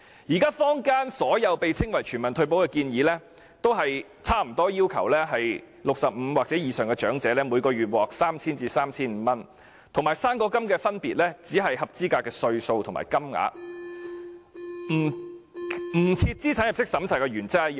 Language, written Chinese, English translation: Cantonese, 現時坊間所有稱為全民退保的建議，均大致要求65歲或以上長者每月可獲派發 3,000 元至 3,500 元，與"生果金"的分別只在於合資格年齡和金額，與不設資產入息審查的原則一樣。, Now all the proposals in the name of universal retirement protection in the community generally request that 3,000 to 3,500 be handed out to each elderly person aged 65 or above every month . The only difference from the fruit grant lies in the eligibility age and the amount . In principle they are the same as being non - means - tested